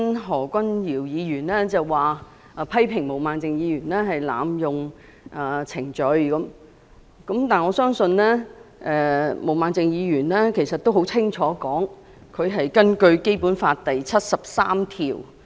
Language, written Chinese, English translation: Cantonese, 何君堯議員剛才批評毛孟靜議員濫用程序，但毛孟靜議員已清楚說明，她根據《基本法》第七十三條動議議案。, Dr Junius HO has just criticized that Ms Claudia MO has abused the procedures but she has made it clear that she moved the motion in accordance with Article 73 of the Basic Law